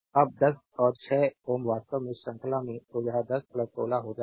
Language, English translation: Hindi, Now 10 and 6 ohm actually there in series; so, it will be 10 plus 16